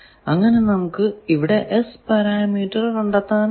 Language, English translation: Malayalam, So, you can measure S parameter